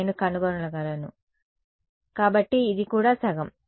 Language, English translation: Telugu, So, I can find out, so this is also half